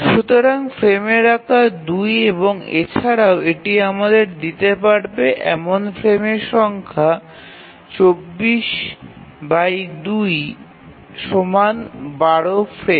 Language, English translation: Bengali, And also the number of frames that it can give us is 24 by 2 is 12